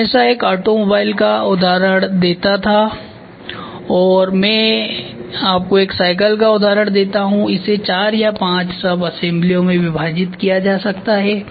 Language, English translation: Hindi, When we try to take a bicycle, I always used to give an automobile or now I give you an example of a bicycle it can be divided into four or five subassemblies